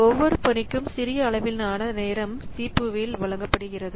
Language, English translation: Tamil, So each task is given CPU for some small amount of